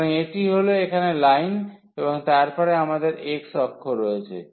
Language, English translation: Bengali, So, this is the line here and then we have the x axis